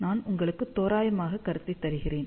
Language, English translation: Tamil, So, I will just give you approximate concept ok